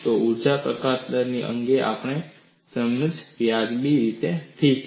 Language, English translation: Gujarati, Our understanding of energy release rate is reasonably okay